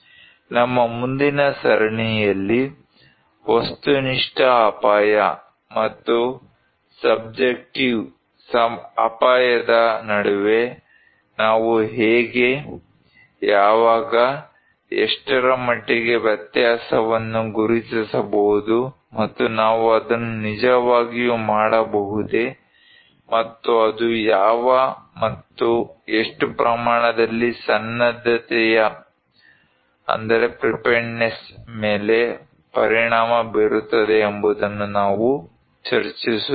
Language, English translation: Kannada, In our next series, we will discuss on this aspect that how, when, what extent we can distinguish between objective risk and subjective risk and can we really do it, so and what and how extent it will affect the preparedness